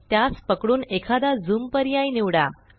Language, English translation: Marathi, You can solve this through the zoom feature